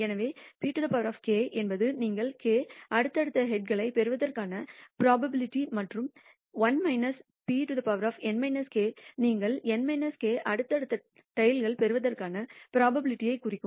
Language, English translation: Tamil, So, p power k is the probability that you will get k successive heads and 1 minus p power n minus k would represents the probability that you will get n minus k successive tails